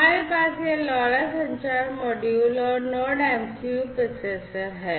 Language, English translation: Hindi, We have this LoRa communication module and the NodeMCU processor